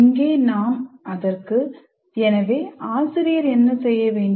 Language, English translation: Tamil, And here we've titled it, so what should the teacher do